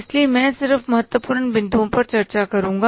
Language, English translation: Hindi, So, I will just discuss important points